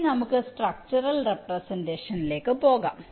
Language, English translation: Malayalam, ok, fine, now let us move to the structural representation